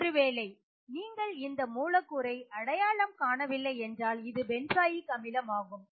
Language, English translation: Tamil, If you have not identified this molecule this molecule is benzoic acid